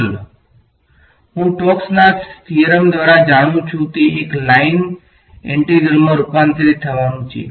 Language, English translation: Gujarati, Curl I know by stokes theorem is going to convert to a line integral